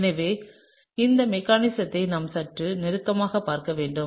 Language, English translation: Tamil, So, we need to look at this mechanism a little bit closer